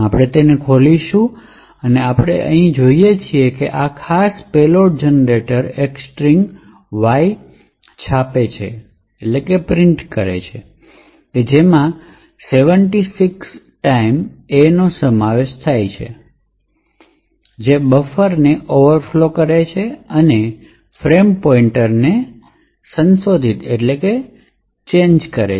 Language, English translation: Gujarati, So we will open that and what we see here is that this particular payload generator prints a string Y which comprises of 76 A, so the 76 A’s are used to overflow the buffer and as we and you can recollect that it overflow by 76 A’s